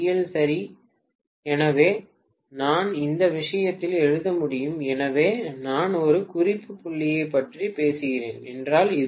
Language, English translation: Tamil, right So I can write in this case so this is the ground if I am talking about a reference point